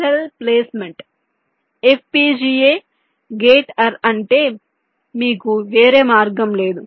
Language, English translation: Telugu, variable cell placement, fpga, gate array is you do not any choice